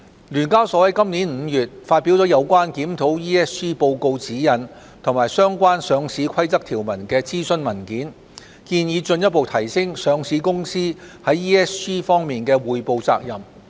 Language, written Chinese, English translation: Cantonese, 聯交所在今年5月發表了有關檢討《ESG 報告指引》及相關《上市規則》條文的諮詢文件，建議進一步提升上市公司在 ESG 方面的匯報責任。, In May this year SEHK published a consultation paper on the review of ESG Reporting Guide and the relevant Listing Rules and proposed further enhancement to ESG reporting obligations of listed companies